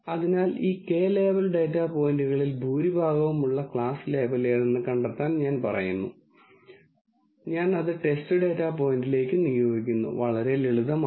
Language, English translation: Malayalam, So, it says to find the class label that the majority of this k label data points have and I assign it to the test data point, very simple